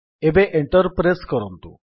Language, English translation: Odia, Now press Enter on the keyboard